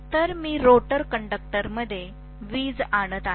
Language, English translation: Marathi, So I am inducing electricity in the rotor conductors